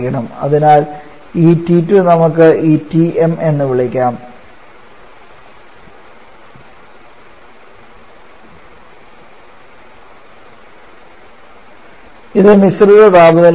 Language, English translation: Malayalam, So this T2 let us called this Tm which is a mixture temperature